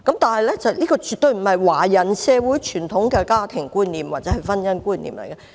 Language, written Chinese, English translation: Cantonese, 但是，這絕對不是華人社會的傳統家庭觀念或婚姻觀念。, However this is surely not the idea of a traditional family or marriage in Chinese society